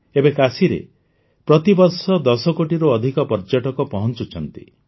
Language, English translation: Odia, Now more than 10 crore tourists are reaching Kashi every year